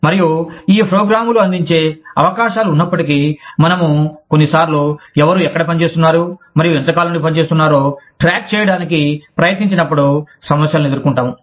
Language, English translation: Telugu, And, despite the opportunities, that these programs offer, we sometimes face problems, trying to keep track of, who is working where, and for how long